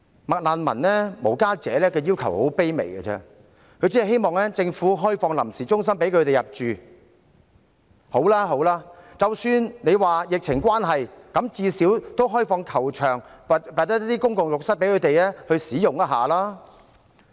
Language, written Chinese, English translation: Cantonese, "麥難民"和無家者的要求很卑微，只希望政府可以開放臨時中心讓他們入住，即使因為疫情關係而暫時未能做到，至少也應開放球場或公共浴室供他們使用。, The request of McRefugees and the homeless is most humble . They merely hope that the Government can open temporary centres for them to stay . Even if it cannot be done at the moment due to the epidemic situation at least the stadiums or public bathhouses should be opened for their use